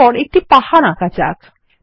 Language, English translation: Bengali, Next let us draw a mountain